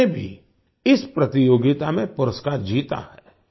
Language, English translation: Hindi, He has also won a prize in this competition